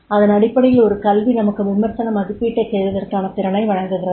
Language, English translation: Tamil, So, therefore an education provides the capability to make the critical evaluation